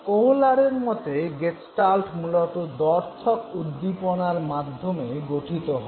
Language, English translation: Bengali, According to Kohler, Gestalt would be basically formed from ambiguous stimuli